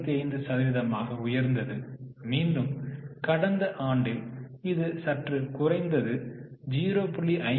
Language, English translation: Tamil, 55 and in last year it has slightly come down to 0